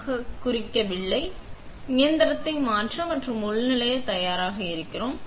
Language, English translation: Tamil, So, we are ready to turn the machine on and login